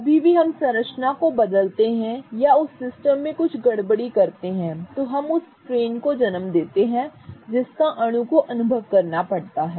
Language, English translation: Hindi, Any time we change the structure or we input some disturbance into the system, we give rise to the strain which the molecule has to experience